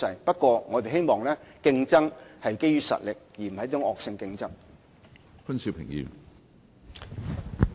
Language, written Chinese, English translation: Cantonese, 不過，我們希望競爭是基於實力，而不是惡性競爭。, However we hope that such competition will be founded on strengths rather than being vicious competition